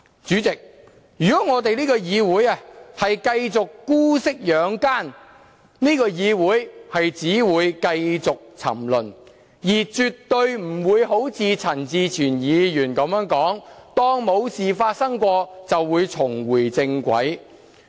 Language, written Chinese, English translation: Cantonese, 主席，如果這個議會繼續姑息養奸，只會繼續沉淪，絕對不會如陳志全議員所說般當作沒事發生過，便會重回正軌。, President this Council will only continue to degenerate if it continues to connive at the wicked and let them run rampant . It will absolutely not get back onto the right track if we act as if nothing has happened as suggested by Mr CHAN Chi - chuen